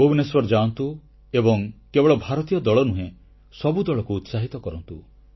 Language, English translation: Odia, Go to Bhubaneshwar and cheer up the Indian team and also encourage each team there